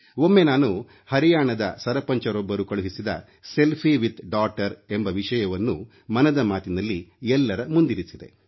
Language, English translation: Kannada, Once, I saw a selfie of a sarpanch with a daughter and referred to the same in Mann Ki Baat